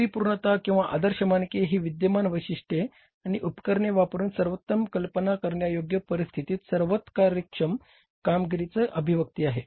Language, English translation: Marathi, Perfection or ideal standards are expressions of the most efficient performance possible under the best conceivable conditions using existing specifications and equipments